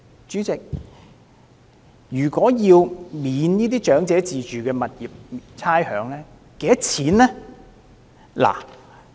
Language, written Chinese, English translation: Cantonese, 主席，若要寬免長者自住物業差餉，需要多少成本？, President what is the cost of granting a rates waiver for the self - occupied properties of the elderly?